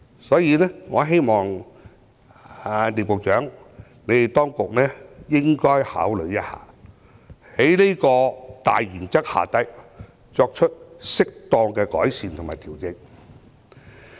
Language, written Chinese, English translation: Cantonese, 所以，我希望聶局長及當局應該考慮一下，在這個大原則之下，如何作出適當的改善和調整。, Hence I hope that Secretary Patrick NIP and the Government will consider how to make appropriate improvements and adjustments under this major principle